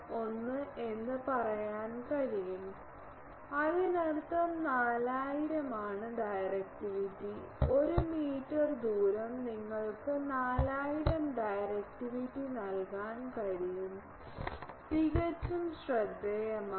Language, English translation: Malayalam, 01 so that means, 4000 is the directivity; 1 meter radius can give you directivity of 4000, quite remarkable